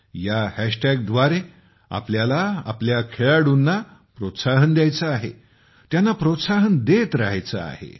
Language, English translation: Marathi, Through this hashtag, we have to cheer our players… keep encouraging them